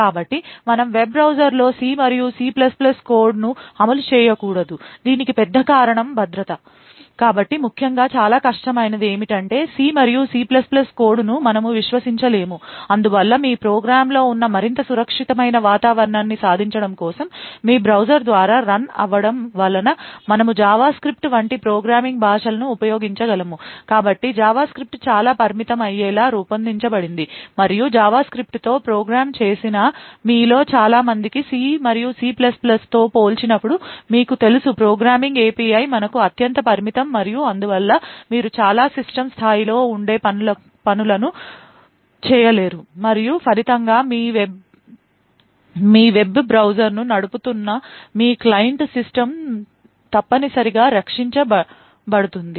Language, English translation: Telugu, So the big reason why we do not want to run C and C++ code in a web browser is security, so essentially it is very difficult for us to trust C and C++ code therefore in order to achieve a more secure environment where the programs that you run through your browser is limited to what it can actually do we use programming languages like JavaScript, so JavaScript is designed to be highly restrictive and as many of you who would have programmed with JavaScript you would be aware that the compared to a C and C++ type of program the program the programming API is our highly limited and therefore you would not be able to do a lot of system a level tasks and as a result your client system which is running your web browser is essentially protected